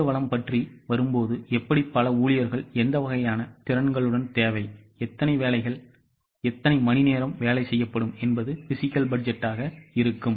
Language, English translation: Tamil, When it comes to manpower, it talks about how many employees are required with what types of skills, how many hours of work will be done, that will be a physical budget